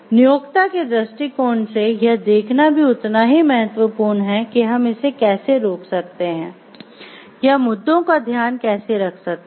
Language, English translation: Hindi, So, because from the employer’s perspective it is equally important to see like the how we can prevent this we should blowing or how to take care of the issues